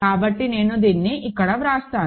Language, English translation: Telugu, So, I will just write this here